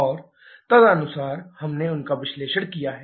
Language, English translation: Hindi, And accordingly, we have done their analysis